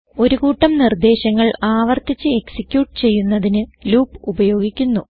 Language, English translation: Malayalam, Loops are used to execute a group of instructions repeatedly